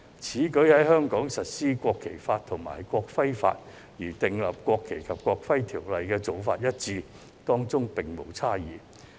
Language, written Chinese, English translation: Cantonese, 此舉一如在香港實施國旗法及國徽法，即與訂立《國旗及國徽條例》的做法一致，當中並無差異。, Such a move is no different from applying the Law on the National Flag and the Law on the National Emblem in Hong Kong which is line with the enactment of the National Flag and National Emblem Ordinance . There is no dissimilarity